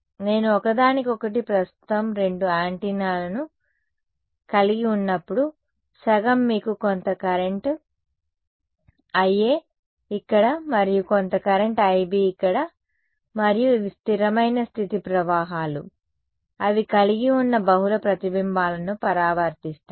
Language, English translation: Telugu, Half when I have two antennas in the present of each other there is going to be you know some current, I A over here and some current I B over here and these are steady state currents after all reflect multiple reflections they have